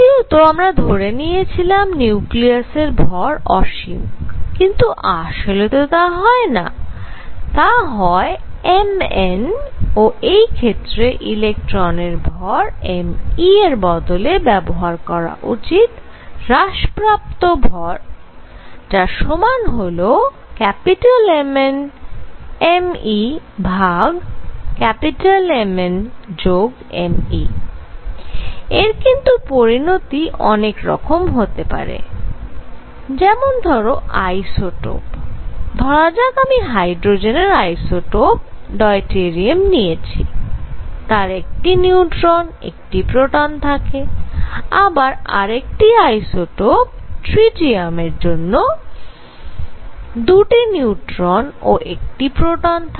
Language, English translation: Bengali, Point number two; we assumed nucleus to have infinite mass in general mass of nucleus is not infinite, but Mn in that case m e electron mass is replaced by the reduced mass which is m e M n divided by m e plus M n and this has consequences what are the consequences suppose I take isotope, let us say isotope of hydrogen which are hydrogen deuterium which has 1 neutron plus 1 proton tritium which has 2 neutrons plus 1 protons